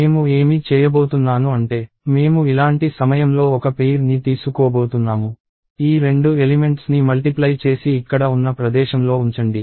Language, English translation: Telugu, So, what I am going to do is I am going to take one pair at a time like this; multiply these two elements and put it in the location here